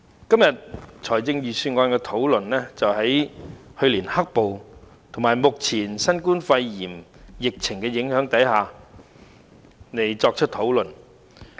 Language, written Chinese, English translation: Cantonese, 今天，財政預算案的討論是在去年"黑暴"與目前新型冠狀病毒疫情的影響下進行。, The Budget debate today is held under the impact of last years black violence and the current novel coronavirus epidemic